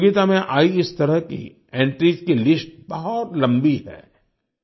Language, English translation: Hindi, The list of such entries that entered the competition is very long